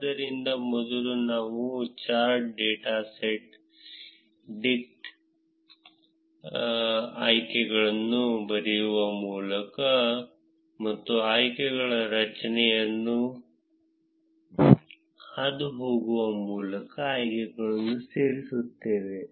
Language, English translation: Kannada, So, first we would add the options by writing chart dot set dict options and passing the options array